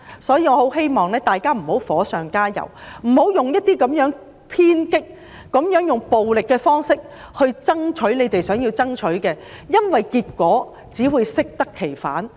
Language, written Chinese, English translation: Cantonese, 所以，我很希望大家不要火上加油，採用偏激、暴力的方式作出爭取，因這只會適得其反。, Therefore I very much hope that we will stop adding oil to the fire and stop resorting to radical and violent means to fight for our causes because the results will be just opposite to the desired outcome